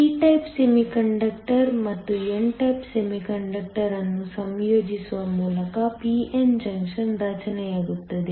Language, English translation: Kannada, A p n junction is formed by combining a p type semiconductor and an n type semiconductor